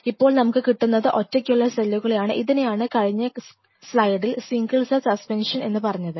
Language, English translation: Malayalam, They are suspension and this is called the word which I used in the previous slide; single cell suspension